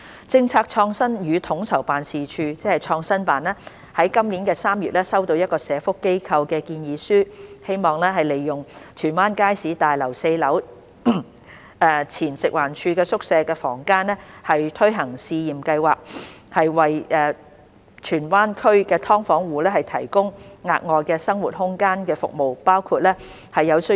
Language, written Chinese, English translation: Cantonese, 政策創新與統籌辦事處於今年3月收到一個社福機構的建議書，希望利用荃灣街市大樓4樓前食環署宿舍房間推行試驗計劃，為荃灣區"劏房"住戶提供額外生活空間的服務。, In March 2021 the Policy Innovation and Co - ordination Office PICO received from a social welfare organization SWO a proposal to use the ex - FEHD quarters units on the fourth floor of the Tsuen Wan Market for implementing a pilot project to provide additional living space for subdivided unit households in Tsuen Wan including providing those in need with space for cooking doing laundry studying and carrying out other community activities